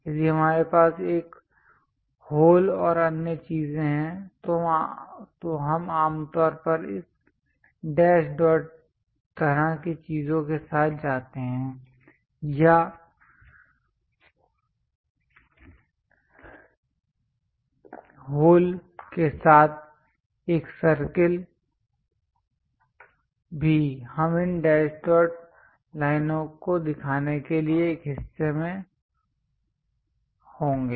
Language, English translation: Hindi, If we have hole and other things, we usually go with this dash dot kind of things or a circle with holes also we will be in a portion to show this dash dot lines